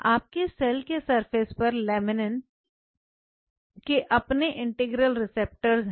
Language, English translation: Hindi, So, laminin has its respective integral receptors on the cell surface